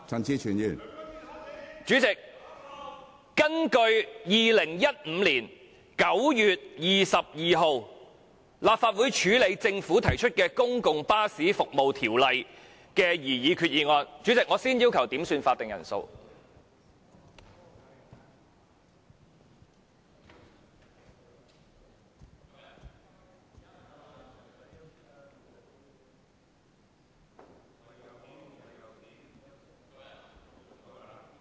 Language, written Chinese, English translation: Cantonese, 主席，政府就2015年9月22日根據《公共巴士服務條例》所作決定提出兩項擬議決議案......主席，我先要求點算法定人數。, President the Government moved two proposed resolutions on the decision made on 22 September 2015 under the Public Bus Services Ordinance President I would like to first request a headcount